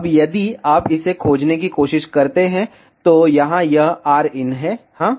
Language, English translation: Hindi, Now, if you try to locate it, so here this is rin yes